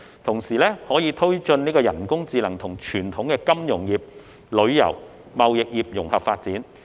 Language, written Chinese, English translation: Cantonese, 同時，可推進人工智能與傳統金融業、旅遊、貿易業融合發展。, At the same time we can promote the integration of artificial intelligence with traditional finance tourism and trade industries